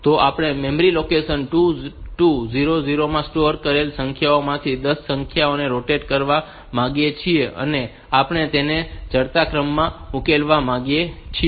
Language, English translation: Gujarati, So, we want to sort 10 numbers given stored from stored in memory location memory location 2 2 0 0 onwards and we want to solve them in ascending order